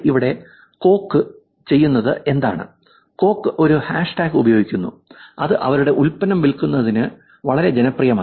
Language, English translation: Malayalam, Here what coke is doing is, coke is actually using a hashtag which is very popular otherwise for actually selling their product